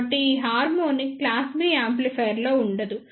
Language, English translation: Telugu, So, this harmonic will be absent in class B amplifier